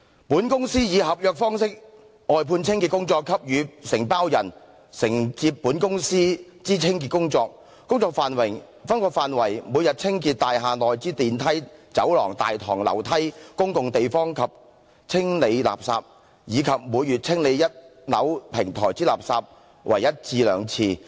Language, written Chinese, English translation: Cantonese, "本公司以合約方式外判清潔工作給予承包人，承接本公司()之清潔工作，工作範圍，每日清潔大廈內之電梯、走廊、大堂、樓梯、公共地方及清理垃圾，以及每月清理一樓平台之垃圾為一至兩次。, The Company hereby engages the Contractor to do cleaning work for the Company by virtue of this outsourcing contract which covers daily cleaning of elevators corridors the lobby staircases and public areas and disposal of refuse and disposal of refuse on the podium of the first floor once or twice monthly